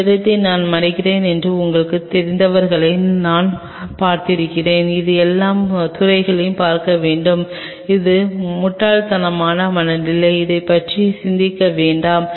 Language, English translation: Tamil, I have seen people you know I am covering this space it should look all field, which is foolish mentality do not do that think over it that